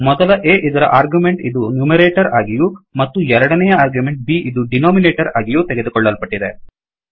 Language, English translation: Kannada, The first argument of A is taken as the numerator and the second argument B is taken as the denominator